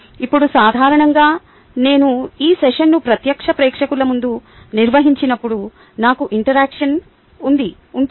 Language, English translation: Telugu, now, usually when i conduct this session in front of a live audience, i have an interaction here